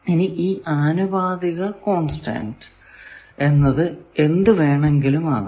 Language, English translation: Malayalam, Now obviously, this proportionality constant can be many things